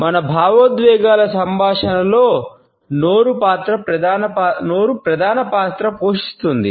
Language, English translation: Telugu, Mouth plays a major role in communication of our emotions